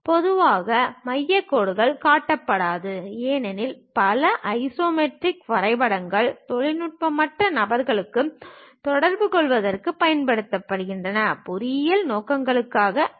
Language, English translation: Tamil, Normally, center lines are not shown; because many isometric drawings are used to communicate to non technical people and not for engineering purposes